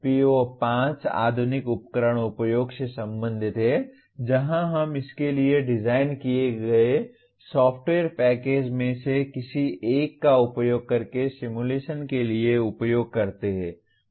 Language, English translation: Hindi, PO5 is related to modern tool usage where we use possibly simulation for designing this using one of the software packages for that